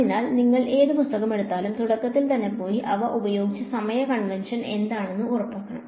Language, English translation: Malayalam, So, you should whatever book you pick up make sure you go right to the beginning and see what is the time convention they have used